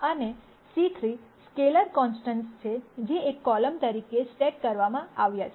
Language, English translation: Gujarati, And c are the scalar constants which have been stacked as a single column